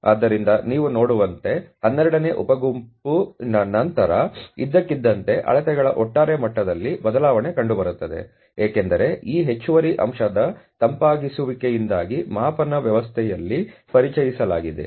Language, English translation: Kannada, So, after the 12th sub group as you can see suddenly there is a change in the overall level of the measurements, because of this additional factor of the cooling which has been introduced into the measurement system ok